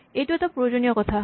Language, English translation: Assamese, This is an important thing